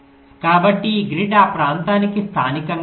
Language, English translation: Telugu, so this grid will be local to that region, right